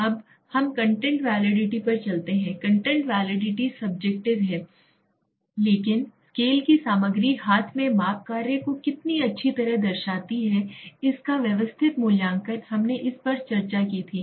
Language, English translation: Hindi, Now let us go the content validity, content validity is the subjective but the systematic evaluation of how well the content of scale represents the measurement task at hand we had discussed it